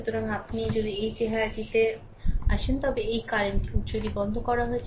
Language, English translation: Bengali, So, if you come to this look this your this current source is switched off